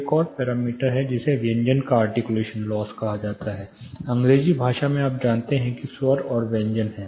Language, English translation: Hindi, There is another parameter which is called articulation loss of consonants, in which specifically you know that vowels and consonants are there